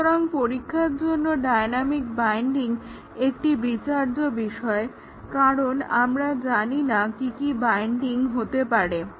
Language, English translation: Bengali, So, the dynamic binding is a cause for concern in testing because we do not know, what are the bindings that may occur